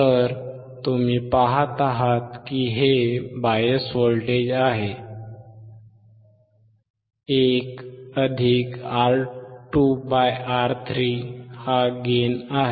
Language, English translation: Marathi, So, you see here this is bias voltage; 1+(R2/R3) is gain